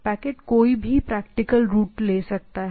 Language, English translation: Hindi, Packets can take any practical route